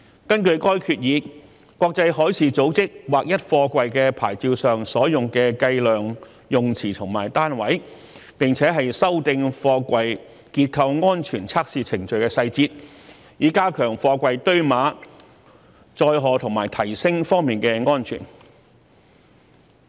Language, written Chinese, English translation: Cantonese, 根據該決議，國際海事組織劃一貨櫃牌照上所用的計量用詞和單位，並且修訂貨櫃結構安全測試程序的細節，以加強貨櫃堆碼、載荷和提升方面的安全。, Under the resolution IMO standardized the terms and units of physical measurement to be used on the SAP of containers and amended the detailed testing procedures for examining the structural safety of containers in order to enhance the safety in the stacking loading and lifting of containers